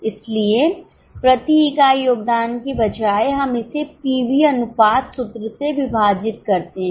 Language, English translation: Hindi, So, instead of contribution per unit, we divide it by PV ratio